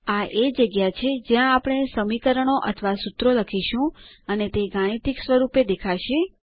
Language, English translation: Gujarati, This is where the equations or the formulae we write will appear in the mathematical form